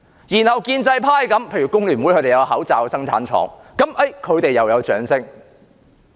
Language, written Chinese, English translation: Cantonese, 然後建制派，例如香港工會聯合會有口罩生產廠，他們又得到掌聲。, Then the pro - establishment camp such as the Hong Kong Federation of Trade Unions have set up their mask factories they have also won the applause